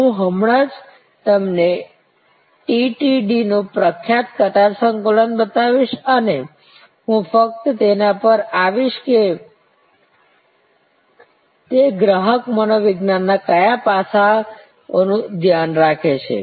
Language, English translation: Gujarati, I will just now showing you the famous queue complex of TTD and I will just come to it that what consumer psychology aspect it takes care off